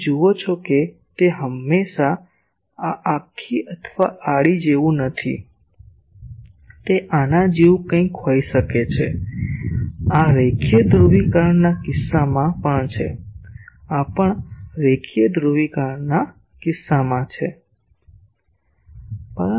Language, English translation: Gujarati, You see it not be always like this vertical or horizontal; it can be something like this, this is also in case of linear polarisation, this is also in case of linear polarisation